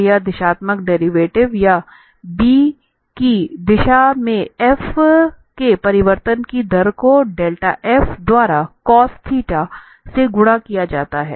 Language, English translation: Hindi, So this directional derivative or the rate of change of f in the direction of b is given by del f multiplied by cos theta